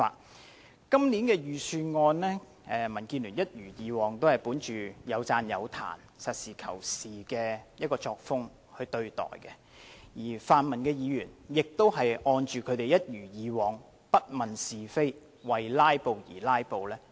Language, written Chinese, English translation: Cantonese, 對於今年的財政預算案，民建聯一如既往，本着有讚有彈及實事求是的作風對待，而泛民議員亦一如既往，不問是非，為"拉布"而"拉布"。, Regarding the Budget this year the Democratic Alliance for the Betterment and Progress of Hong Kong DAB still adheres pragmatically to the approach of calling a spade a spade as we always do . Pan - democratic Members on the other hand also behave as usual confounding right and wrong and filibustering for the sake of filibustering